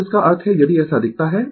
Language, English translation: Hindi, Now, that means if you look like this right